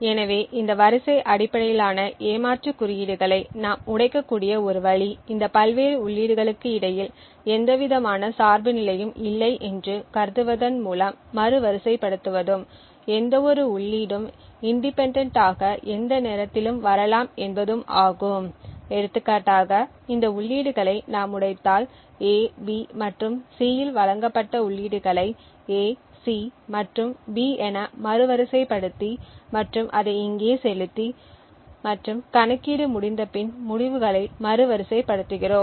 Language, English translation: Tamil, So one way by which we can break this sequence based cheat codes is by reordering assuming that there is no dependency between these various inputs and any input in can independently come at any time if we break these inputs for example if the inputs provided in A, B and C order which is reordered the inputs like this into A C and B and feed it here and we reorder the results back after the computation is done